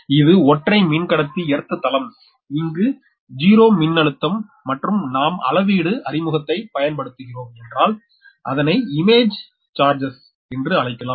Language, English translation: Tamil, so this is a single conductor, earth plane, zero potential here, and you will use that, introduce scale means, what you call that image charges